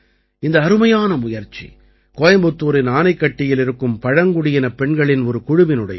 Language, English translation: Tamil, This is a brilliant effort by a team of tribal women in Anaikatti, Coimbatore